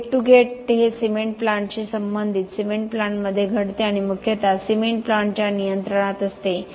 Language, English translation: Marathi, The gate to gate is what happens in the cement plant associated with the cement plant and mostly within the control of the cement plant